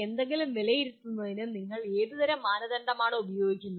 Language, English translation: Malayalam, What kind of criteria do you use for evaluating something